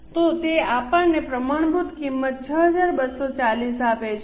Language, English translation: Gujarati, So, it gives us standard cost of 6 to 40